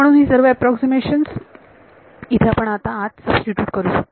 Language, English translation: Marathi, So, all of these approximations we can substitute inside over here